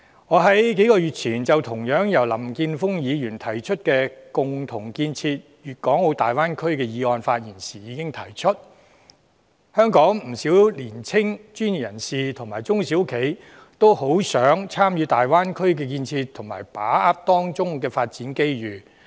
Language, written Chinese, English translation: Cantonese, "我在數個月前，就同樣由林健鋒議員提出的"加強區域合作，共建粵港澳大灣區"議案發言時，已提出香港不少年青專業人士和中小企，均渴望參與大灣區的建設和把握當中的發展機遇。, A couple of months ago I spoke in the debate on Mr Jeffrey LAMs motion Strengthening regional collaboration and jointly building the Guangdong - Hong Kong - Macao Bay Area . I pointed out at that time that many young professionals and small and medium enterprises in Hong Kong longed to participate in the building of the Greater Bay Area and grasping the development opportunities therein